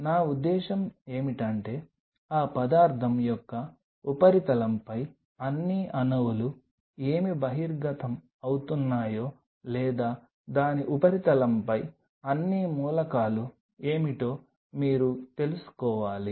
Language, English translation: Telugu, What I meant by that is you have to know that what all atoms are exposed on the surface of that material or what all elements are on the surface of it